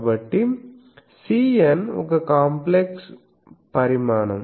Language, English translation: Telugu, So, C n is a complex quantity